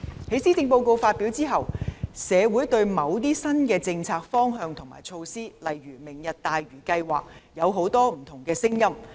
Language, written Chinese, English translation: Cantonese, 在施政報告發表後，社會對某些新政策方向和措施，例如"明日大嶼"計劃，有很多不同的聲音。, Since the presentation of the Policy Address we have heard many different voices from the community on certain new policy directions and measures such as the Lantau Tomorrow Vision